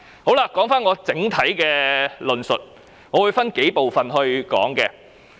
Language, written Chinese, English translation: Cantonese, 說回我整體的論述，我會分數部分來談論。, Coming back to my overall conclusion I will talk about it in several parts